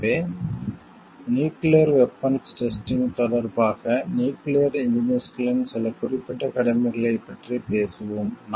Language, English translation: Tamil, So, we will talk of some specific duties of nuclear engineers, with respect to nuclear weapon testing